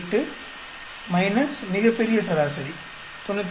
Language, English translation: Tamil, 28 minus grand average 93